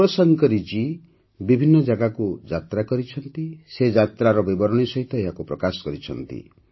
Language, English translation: Odia, Shiv Shankari Ji travelled to different places and published the accounts along with travel commentaries